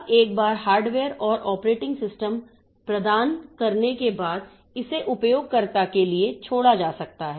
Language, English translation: Hindi, Now, once the hardware and operating system is provided, it can be left to the user